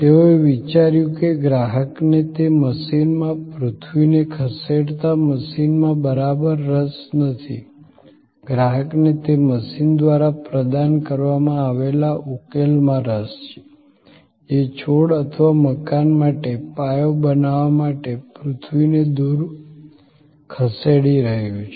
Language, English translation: Gujarati, They thought that the customer is not interested exactly in that machine, the earth moving machine, the customer is interested in the solution provided by that machine, which is moving earth away to create the foundation for the plant or for the building